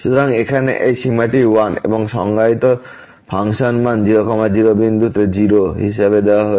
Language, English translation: Bengali, So, this limit here is 1 and the function value defined at point is given as 0